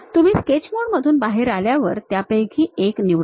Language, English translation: Marathi, If you come out of sketch mode pick one of them